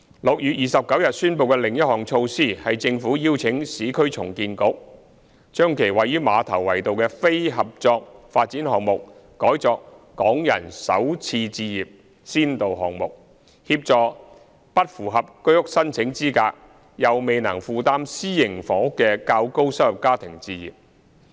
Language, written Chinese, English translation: Cantonese, 6月29日宣布的另一項措施，是政府邀請市區重建局將其位於馬頭圍道的非合作發展項目改作"港人首次置業"先導項目，協助不符合居屋申請資格、又未能負擔私營房屋的較高收入家庭置業。, Another initiative announced on 29 June is the invitation by the Government of the Urban Renewal Authority to assign its non - joint venture project at Ma Tau Wai Road as a Starter Homes pilot project so as to help higher - income families who are not eligible for HOS and yet cannot afford private housing to acquire their own homes